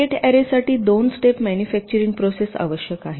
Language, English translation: Marathi, gate array requires a two step manufacturing process